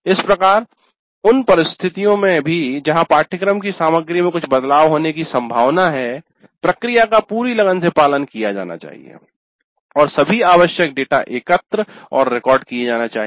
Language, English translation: Hindi, Thus, even in situations where there are likely to be some changes in the course contents, the process should be followed diligently and all the data required is collected and recorded